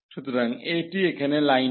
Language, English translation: Bengali, So, this is the line here